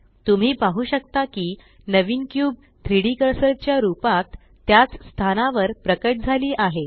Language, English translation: Marathi, As you can see, the new cube has appeared on the same location as the 3D cursor